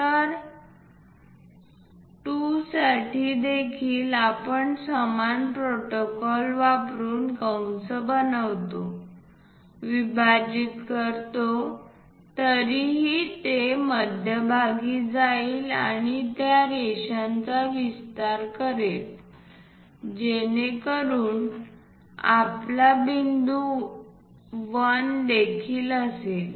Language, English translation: Marathi, So, for 2 also we use similar protocol make an arc, divide it, anyway it will pass through the centre extend that lines so that we have point 1 also